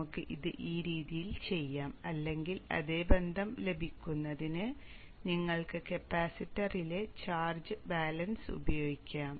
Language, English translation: Malayalam, We can do it this way or you can use the amp second balance in the capacitor to get the same relationship